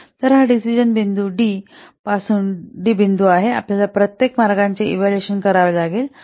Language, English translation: Marathi, From decision point D, we have to evaluate the, we have to assess each path